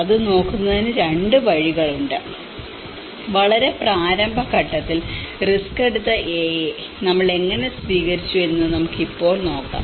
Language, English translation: Malayalam, There are 2 ways of looking at it; we can still call the A who have taken a risk in a very initial state, how we have adopted